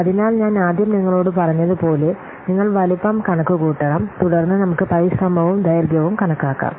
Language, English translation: Malayalam, So as I have already told you, first we have to compute size, then we can compute what effort and the duration